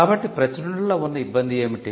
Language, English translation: Telugu, So, what is bad about publication